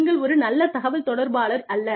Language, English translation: Tamil, You are not a good communicator